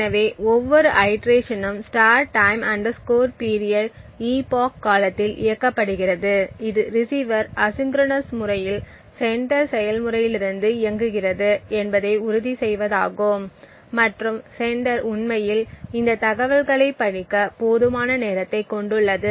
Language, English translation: Tamil, So each iteration is run for epoch * TIME PERIOD, this is to ensure that the receiver which is running asynchronously from the sender process has sufficient amount of time to actually read this information